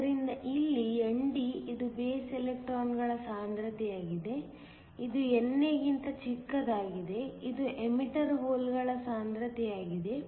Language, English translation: Kannada, So, here ND which is the concentration of electrons in the base; it is much smaller than NA, which is the concentration of holes in the emitter